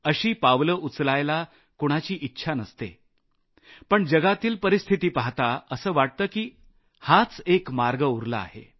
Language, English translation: Marathi, No one wants to go that way; looking at what the world is going through, this was the only way left